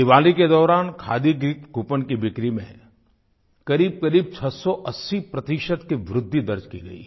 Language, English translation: Hindi, During Diwali, Khadi gift coupon sales recorded an overwhelming 680 per cent rise